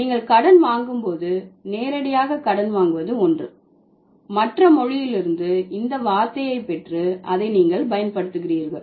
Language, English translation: Tamil, So, direct borrowing is something when you are just getting the word from the other language and you are using it as it is